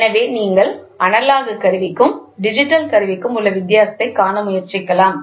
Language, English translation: Tamil, So, when you try to see the difference between analog instrument and digital instrument